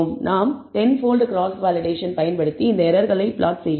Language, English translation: Tamil, We have used a 10 fold cross validation and we are plotting this error